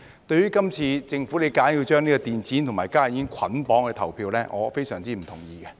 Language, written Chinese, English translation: Cantonese, 對於今次政府硬把電子煙和加熱煙作捆綁投票，我非常不同意。, I strongly disagree with the Governments decision to bundle e - cigarettes and HTPs together in the vote